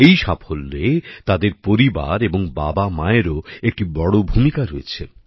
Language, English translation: Bengali, In their success, their family, and parents too, have had a big role to play